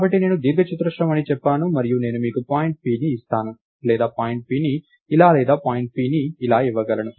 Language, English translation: Telugu, So, I have lets say this as my rectangle and I could give you point p as this or point p as this or point p as this and so on